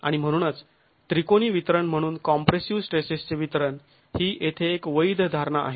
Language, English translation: Marathi, And so the assumption of the assumption of the distribution of compressive stresses as a triangular distribution is a valid assumption here